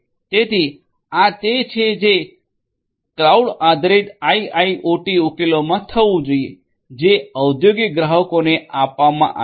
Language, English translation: Gujarati, So, this is what should be done in a cloud based IIoT solution that is offered to the industrial clients